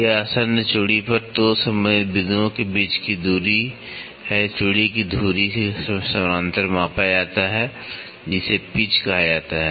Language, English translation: Hindi, It is a distance between 2 corresponding points on adjacent threads, ok, measured parallel to the axis of the thread is called the pitch